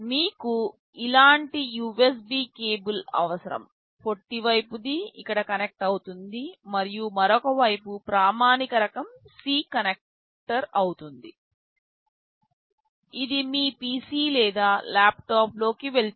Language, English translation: Telugu, You need a USB cable like this, the shorter side will be connected here and the other side will be a standard type C connector, this will go into your PC or laptop